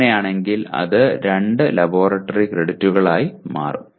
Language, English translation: Malayalam, In that case it will become 2 credit, 2 credits of laboratory